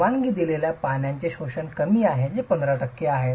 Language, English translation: Marathi, 5 water absorption permitted is lesser which is 15 percent